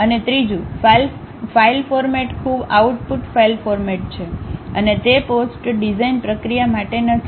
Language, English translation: Gujarati, And the third one, the file format is very much an output file format and not intended for post design processing